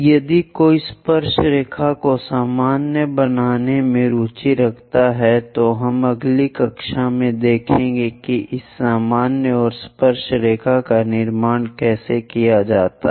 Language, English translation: Hindi, If one is interested in constructing tangent normal, we will see in the next class how to construct this normal and tangent